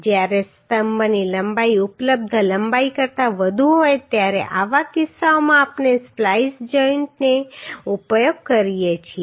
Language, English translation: Gujarati, When the length of column is more than the available length in such cases we use splice joint